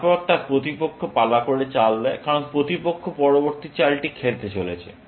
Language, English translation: Bengali, Then, its opponent turns to make the move, because opponent is going to play the next move